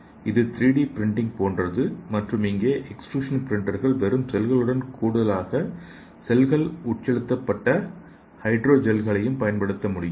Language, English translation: Tamil, It is also just like a 3D printing and in addition to just cells, here the extrusion printers may also use hydro gels infused with cells, okay